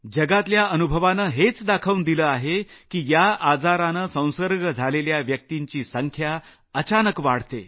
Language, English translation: Marathi, The world's experience tells us that in this illness, the number of patients infected with it suddenly grows exponentially